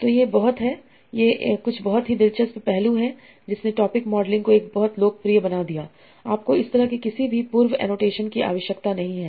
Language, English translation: Hindi, So this is some sort of very interesting aspect that made topic modeling very popular that you do not need to have any prior annotation as such